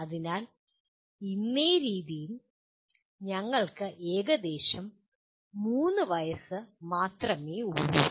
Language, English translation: Malayalam, So we are only about 3 years old as of today